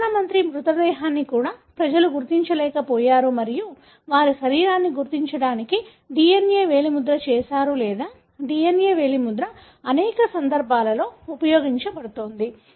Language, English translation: Telugu, Even the Prime Minister's body was, people were unable to recognize and they have done a DNA fingerprinting to identify the body or DNA finger printing is being used in many different cases